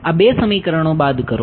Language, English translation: Gujarati, Subtract these two equations